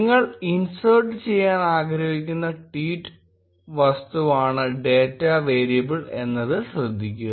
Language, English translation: Malayalam, Note that data variable is the tweet object which you want to insert